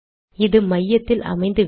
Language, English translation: Tamil, This is not centered